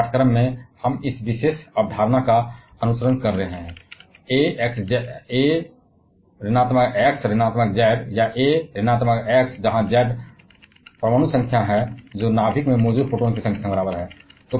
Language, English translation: Hindi, In the present course we shall be following this particular concept, A X Z or A X Here is Z is the atomic number, which is equal to the number of protons present in the nucleus